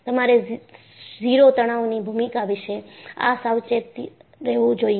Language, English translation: Gujarati, So, you have to be careful about the role of the zero stress